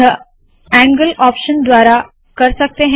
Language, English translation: Hindi, This is done by the angle option